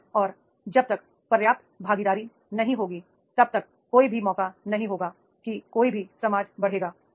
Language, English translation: Hindi, Unless and until there is not enough participation then there will not be the any chance that is the any society will grow